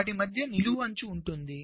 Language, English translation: Telugu, similarly, between these there will be vertical edge